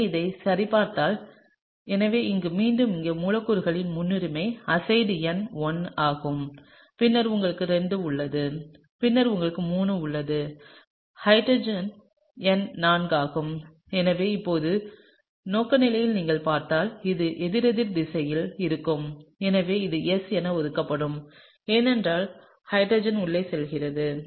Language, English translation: Tamil, So, let’s just check that, so here again the priority of the molecule here azide is number 1 and then you have 2 and then you have 3 and hydrogen is number 4 and so, if you now see the orientation this is going to be anticlockwise, and therefore, it would be assigned as S, because, hydrogen is going inside